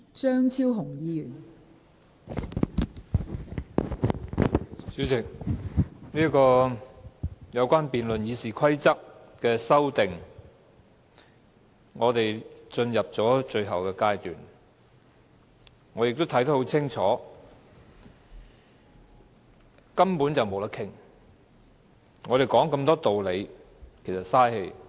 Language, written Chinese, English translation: Cantonese, 代理主席，有關修訂《議事規則》的辯論已經進入最後階段，而我亦已看得很清楚，根本沒有討論的餘地，我們拿出這麼多道理都是白說的。, Deputy President the debate on amending the Rules of Procedure RoP has reached the final stage . It is well evident that there is really no room for negotiation and it is pointless for us to present so many reasons